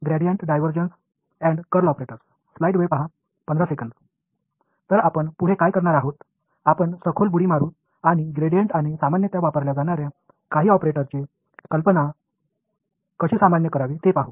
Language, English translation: Marathi, So, next what we will do is, we will dive in deeper and look at how to generalize the idea of the gradient and some other commonly used operators